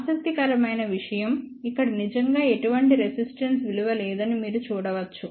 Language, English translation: Telugu, You can actually see here interesting thing that there is a no resistance value coming into picture